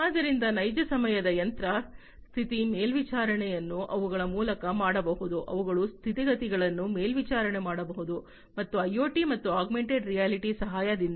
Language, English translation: Kannada, So, real time machine status monitoring can be done their, their conditions can be monitored and so on with the help of IoT and augmented reality